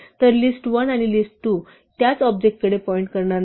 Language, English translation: Marathi, So, list1 and list2 will no longer point to the same object